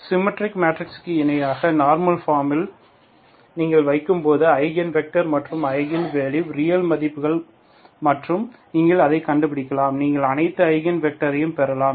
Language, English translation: Tamil, When you put in the normal form, analogous to the symmetric matrices, that is where you have the eigenvalues an Eigen vectors as a real values and eigenvalues are real, completely real and you can find, you can have all the Eigen vectors